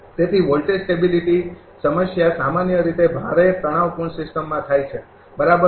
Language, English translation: Gujarati, So, voltage stability problem normally occur in heavily stressed system, right